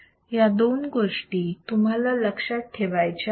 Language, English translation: Marathi, So, two things you have to remember right